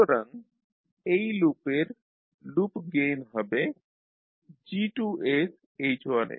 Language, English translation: Bengali, So the loop gain of this loop will be G2s into H1s